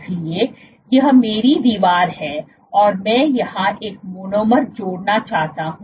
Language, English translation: Hindi, So, this is my wall here and I am to add a monomer here